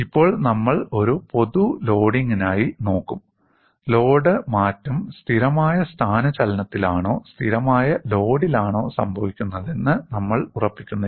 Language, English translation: Malayalam, And now, we will look at for a general loading, we are not fixing whether the load change is happening in a constant displacement or constant load